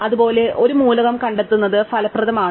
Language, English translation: Malayalam, Similarly, finding an element is efficient